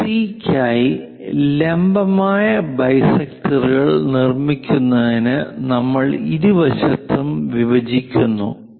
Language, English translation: Malayalam, To construct perpendicular bisectors for AC, what we are going to do intersect on both sides